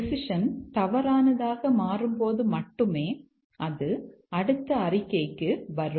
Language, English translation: Tamil, Only when the decision becomes false, it comes to the next statement